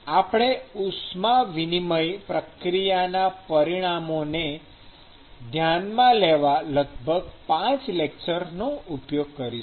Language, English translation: Gujarati, We will spend about 5 lectures in looking at quantifying heat exchanging process